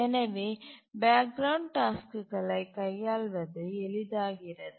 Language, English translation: Tamil, So, handling background tasks is simple